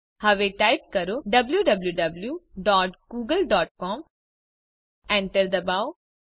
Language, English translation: Gujarati, * Now type www dot google dot com * Press Enter